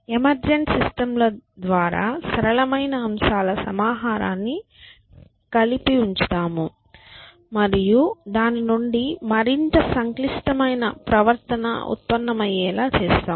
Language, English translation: Telugu, So, by emergent systems we mean that we put together a collection of simple elements and more complex behavior emerges out of that